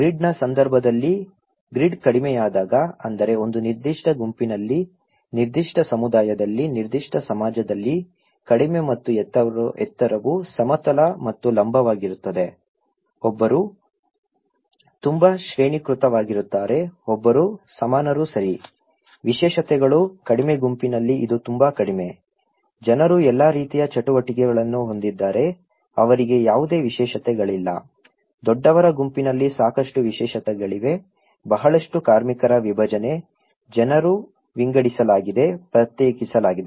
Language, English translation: Kannada, In case of grid, when the grid is low that means in a particular group, particular community, particular society, the low and high is like horizontal and vertical, one is very hierarchical one is very equal okay, specializations; in low group it’s very little, people are all have similar kind of activities, they don’t have any specializations, in high group there is lot of specializations, lot of division of labour, people are divided, segregated